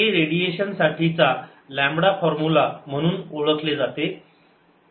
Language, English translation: Marathi, this is known as lambda formula for radiation